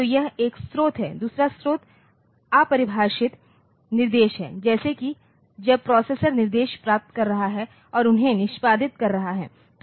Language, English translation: Hindi, So, this is one source another source is undefined instructions; like when the processor is fetching instructions and executing them